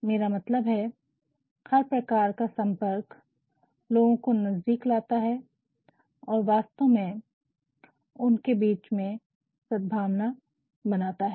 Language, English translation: Hindi, I mean all sorts of communication bring people closer and reports actually help in establishing a sort of harmony